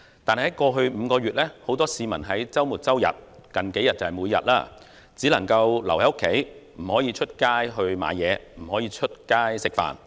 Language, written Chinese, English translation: Cantonese, 但在過去5個月，很多市民在周末、周日，而近數天更是每天只能留在家中，不可以外出購物，不可以外出吃飯。, Yet over the past five months many members of the public have been forced to stay at home during weekends or even every day for the past few days . They could not go out for shopping or meals